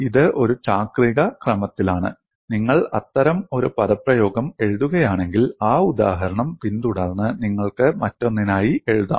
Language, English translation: Malayalam, And this is in a cyclic order; if you write one such expression, following that example you could write for the other